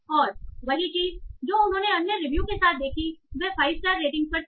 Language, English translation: Hindi, And same thing they saw with other reviews that were on 5 star rating